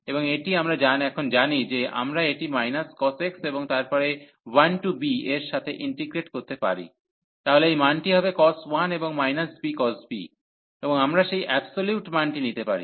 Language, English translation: Bengali, And this we know now that we can integrate this with minus cos x and then 1 to b, so this value will be cos 1 and minus b cos b, and we can take that absolute value there